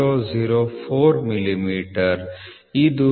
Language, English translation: Kannada, 004 millimeter which is nothing but 39